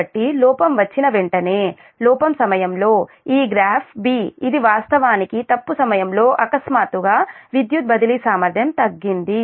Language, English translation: Telugu, so as soon as, as soon as there is a fault, so during fault, this graph b, this is actually during fault right and suddenly the power transfer capability has decreased